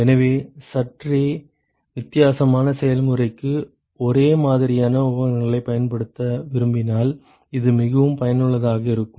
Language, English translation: Tamil, So, this is very useful particularly if you want to use the same set of equipments for a slightly different process